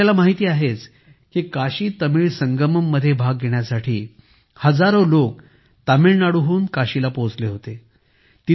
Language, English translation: Marathi, You know that thousands of people had reached Kashi from Tamil Nadu to participate in the KashiTamil Sangamam